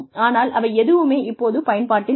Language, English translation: Tamil, Now, none of that, is in use anymore